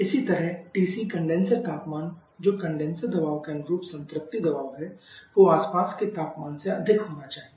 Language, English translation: Hindi, Similarly, TC the condenser temperature, which is the saturation pressure corresponding to the condenser pressure has to be greater than the surrounding temperature